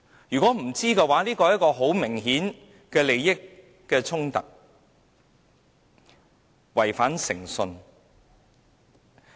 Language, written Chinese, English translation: Cantonese, 如果他們不知情，這很明顯涉及利益衝突，有人違反誠信。, If they were in the dark obviously it involved conflicts of interest and someone had violated the integrity requirement